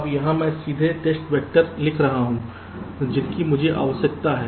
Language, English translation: Hindi, now here i am directly writing down the test vectors that i require